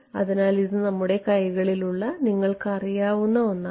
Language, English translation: Malayalam, So, that is actually something that is you know in our hands